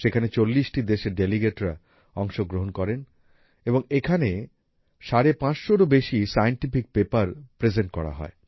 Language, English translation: Bengali, Delegates from more than 40 countries participated in it and more than 550 Scientific Papers were presented here